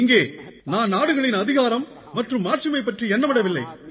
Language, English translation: Tamil, " Here I am not thinking about the supremacy and prominence of nations